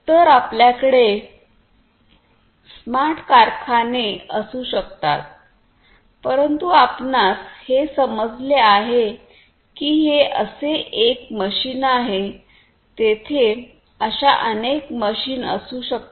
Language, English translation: Marathi, So, you can have smart factories, but as you can understand that this is one machine like this there could be several, several other different types of machines